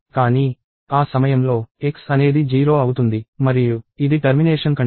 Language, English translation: Telugu, But, at that point, x becomes 0 and it is a termination condition